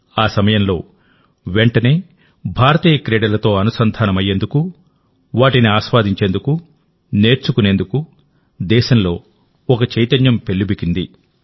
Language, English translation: Telugu, Immediately at that time, a wave arose in the country to join Indian Sports, to enjoy them, to learn them